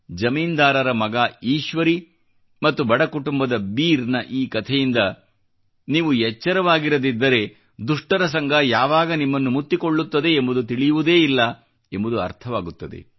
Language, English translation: Kannada, The moral of this story featuring the landholder's son Eeshwari and Beer from a poor family is that if you are not careful enough, you will never know when the bane of bad company engulfs you